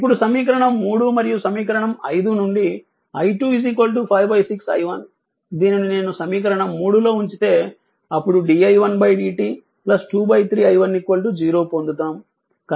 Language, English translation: Telugu, In equation 3 actually you put this expression i 2 is equal to 5 upon 6 i 1 then you will get di 1 upon dt plus 2 by 3 i 1 is equal to 0, so this is equation 6 a